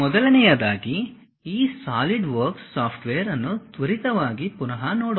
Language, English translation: Kannada, First of all let us quickly revisit this Solidworks software